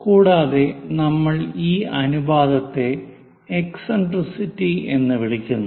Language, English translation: Malayalam, And that ratio what we call in geometry as eccentricity